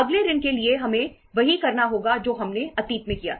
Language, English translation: Hindi, For the next loan we will have to do the same thing what we did in the past